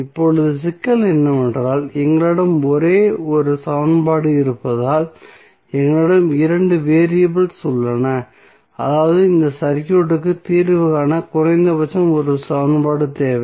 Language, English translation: Tamil, Now, the problem would be that since we have only one equation and we have two variables means we need at least one more equation to solve this circuit